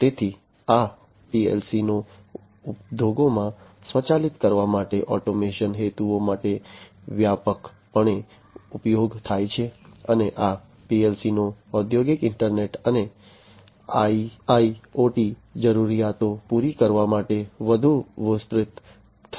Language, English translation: Gujarati, So, these PLC’s are quite widely used in the industries to automate, for automation purposes and these PLC’s could be extended further to be able to serve the industrial internet and IIoT requirements